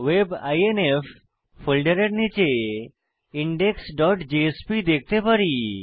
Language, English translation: Bengali, We can see that under the WEB INF folder there is index.jsp